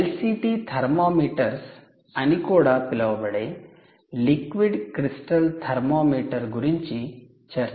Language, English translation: Telugu, we also spoke about the liquid crystal, liquid crystal thermometer ok, this is called l c